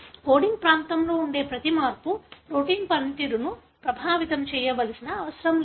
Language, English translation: Telugu, It is not necessary that every change that is present in the coding region should affect the protein function